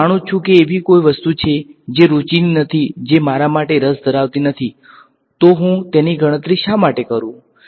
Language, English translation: Gujarati, If I know that there is something which is of not interest which is not of interest to me why should I calculate it